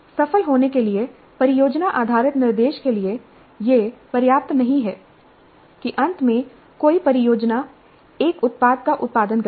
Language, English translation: Hindi, For project based instruction to succeed, it is not enough if finally a project produces a product